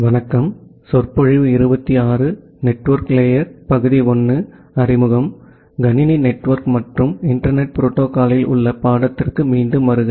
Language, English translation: Tamil, Welcome back to the course on Computer Network and Internet Protocols